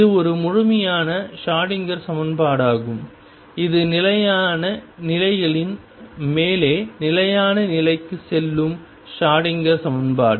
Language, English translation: Tamil, This is a complete Schroedinger equation which for stationary states goes over to stationary state Schroedinger equation